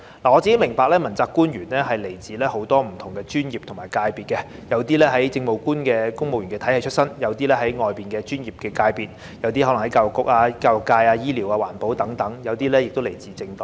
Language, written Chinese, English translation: Cantonese, 我個人明白問責官員來自很多不同專業和界別，有些是來自政務官體系出身，有些是來自外面的專業界別，有些可能是來自教育界、醫療環保等，有些則來自政黨。, I personally understand that principal officials come from many different professions and sectors . While some are from the regime of Administrative Officers some are from the professional sectors outside the Government such as the education sector the medical sector the environment protection field and some are from political parties